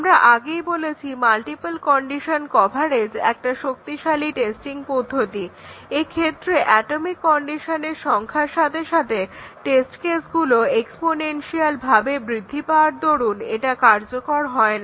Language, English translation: Bengali, We already said that the multiple condition coverage even though it is a strong testing technique, it is a strong testing requirement, but then it is not practical there will be too many test cases exponential in the number of the atomic conditions